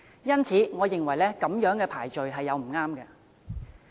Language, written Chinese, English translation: Cantonese, 因此，我認為這樣子排序並不恰當。, I thus hold that this sequence is inappropriate